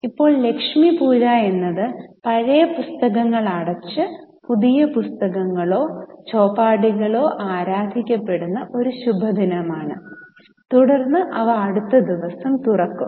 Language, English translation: Malayalam, Now Lakshmi Puja is an auspicious day on which the old books are closed, new books or chopopis are worshipped and then they are opened on the next day